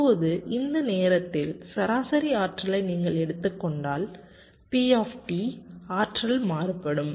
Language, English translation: Tamil, now if you just take the average energy over this time p t [vocalized noise]